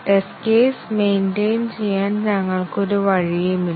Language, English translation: Malayalam, There is no way we can maintain the test case